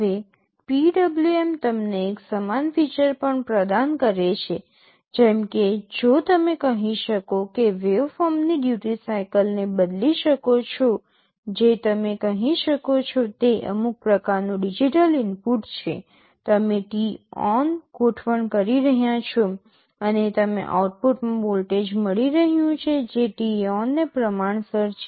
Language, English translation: Gujarati, Now, PWM also provides you with a similar feature, like if you change the duty cycle of the waveform that you can say is some kind of digital input, you are adjusting t on, and you are getting a voltage in the output which is proportional to that t on